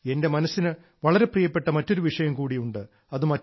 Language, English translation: Malayalam, There is another subject which is very close to my heart